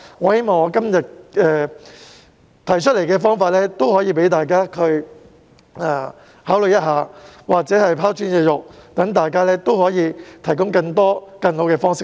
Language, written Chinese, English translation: Cantonese, 我希望我今天提出的方法可供大家考慮，或者可以拋磚引玉，說不定能讓大家提出更多和更好的方式。, I hope that Members can consider the approaches I proposed today and that my humble suggestion can trigger better ideas from Members